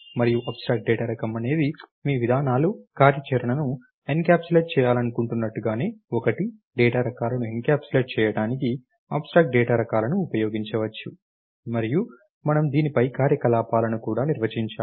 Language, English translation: Telugu, And abstract data type is one just like your procedures wish encapsulate functionality, the abstract data types can be use to encapsulate data types and we also define operations on this